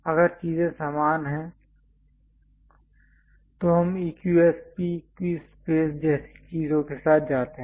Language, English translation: Hindi, If things are equi spaced we go with EQSP equi space kind of things